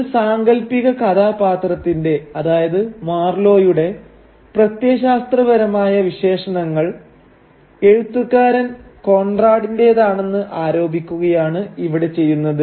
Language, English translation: Malayalam, So what it is doing is that it is trying to ascribe the ideological peculiarities of a fictional character, that is Marlow, on to the author Conrad himself